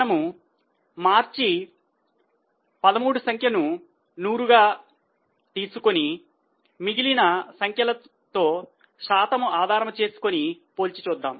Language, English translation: Telugu, So, we will take March 13 figure as 100 and compare other figures as a percentage to that base